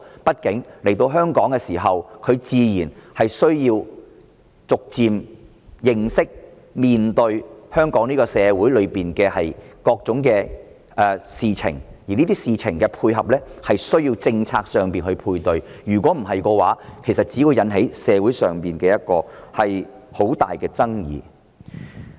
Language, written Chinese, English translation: Cantonese, 畢竟，來到香港後，他們需要逐漸認識及面對香港社會各種事情，而要對此作出配合，便需要有相應的政策，否則只會引起社會上很大的爭議。, Anyway after their arrival in Hong Kong they need to gradually understand and face different issues in the Hong Kong community . In order to cope with this situation corresponding policies need to be put in place otherwise a great deal of controversy will be aroused in the community